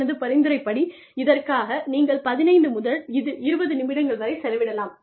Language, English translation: Tamil, My suggestion is, spent maybe, 15 to 20 minutes